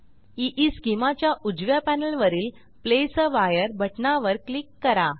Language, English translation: Marathi, On right panel of EESchema, Click on Place a wire button